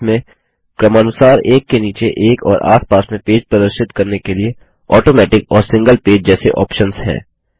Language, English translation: Hindi, It has options like Automatic and Single page for displaying pages side by side and beneath each other respectively